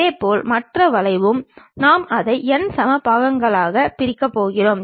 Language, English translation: Tamil, Similarly, the other curve also we are going to divide it into n equal number of parts